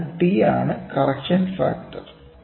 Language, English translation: Malayalam, So, the P is nothing, but the correction factor